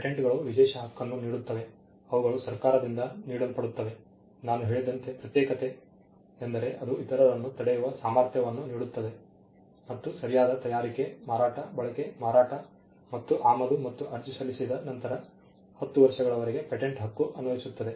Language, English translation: Kannada, Patents grant exclusive right, they are conferred by the government, as I said exclusivity means it gives the ability to stop others and the right pertains to making, selling, using, offering for sale and importing and the right exist for a time period which as I said is twenty years from the